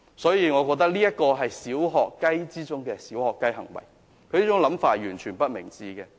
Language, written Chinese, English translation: Cantonese, 所以，我認為這是"小學雞"之中的"小學雞"行為，他這種想法完全不明智。, Therefore I think this behaviour is the most puerile of the puerile . This idea of his is completely unwise